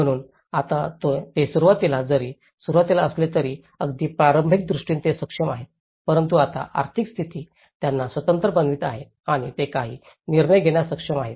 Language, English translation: Marathi, So, they are able to, now in the beginning though initially, it has started with a very participatory approach but now because the economic status is making them independent and they are able to take some decisions